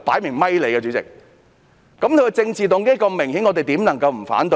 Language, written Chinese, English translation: Cantonese, 如此明顯的政治動機，我們怎能不提出反對？, Given the Governments obvious political motive how can we not raise our objection?